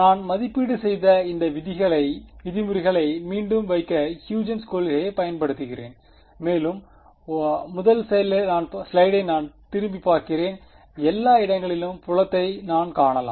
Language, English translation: Tamil, Then I go back even 1 more slide I use Huygens principle to put back these terms which I have evaluated and I can find the field everywhere